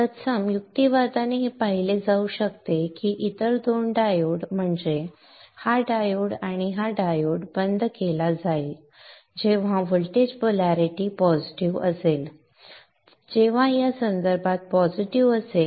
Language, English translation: Marathi, By a similar argument it can be seen that the other two diodes, that is this diode and this diode will be turned off when the voltage polarity is positive when this is positive with respect to this